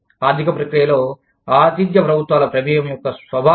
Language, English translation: Telugu, Nature of host governments involvement, in the economic process